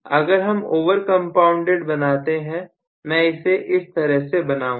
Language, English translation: Hindi, If I draw it for over compounded, I am going to draw it like this